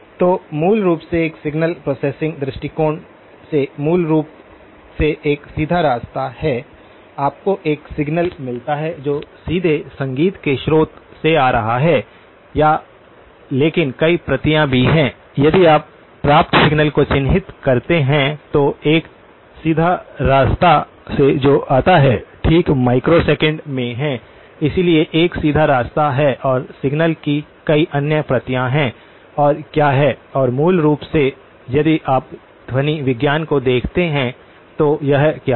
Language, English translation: Hindi, So, basically from a signal processing viewpoint, there is a direct path basically, you do get a signal that is coming directly from the source of the music or but there is also multiple copies so, if you were to characterize the received signal, so there is a direct path which arrives okay, this is in microseconds, so there is a direct path and there are several other copies of the signal and what is and basically, if you look at the acoustics, what is the makes it